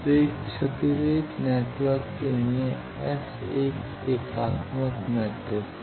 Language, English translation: Hindi, So, for a lossless network, S is unitary matrix